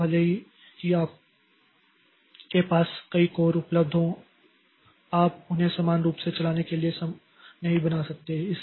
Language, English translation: Hindi, So even if you have got multiple codes available, so you cannot make them to run parallel